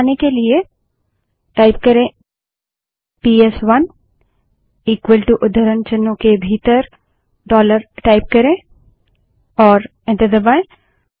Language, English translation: Hindi, To revert back type PS1 equal to dollar within quotes and press enter